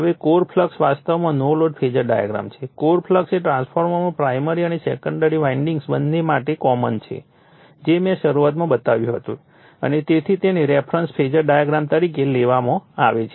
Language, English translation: Gujarati, Now, the core flux actually no load Phasor diagram, the core flux is common to both primary and secondary windings in a transformer that I showed you in the beginning and is thus taken as the reference Phasor in a phasor diagram